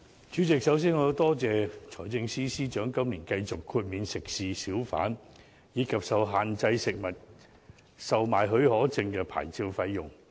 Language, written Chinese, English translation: Cantonese, 主席，首先，我感謝財政司司長今年繼續豁免食肆、小販，以及受限制食物售賣許可證的牌照費用。, President first of all I would like to thank the Financial Secretary for waiving the licence fees for restaurants hawkers and restricted food permits again this year